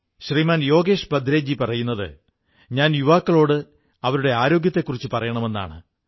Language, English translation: Malayalam, Shriman Yogesh Bhadresha Ji has asked me to speak to the youth concerning their health